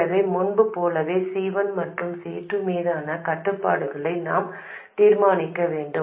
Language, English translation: Tamil, So, we need to determine the constraints on C1 and C2, just like before